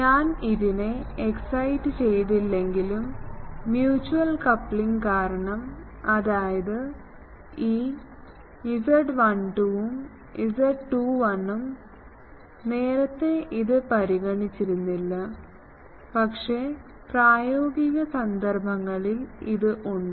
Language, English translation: Malayalam, It shows that, even if I do not excide this, but mutual coupling between them, which is nothing, but this z 12 and z 21, if we were not earlier considering this, but in practical cases this is there